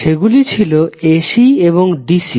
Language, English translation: Bengali, Those words were AC and DC